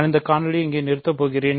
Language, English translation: Tamil, So, I am going to stop this video here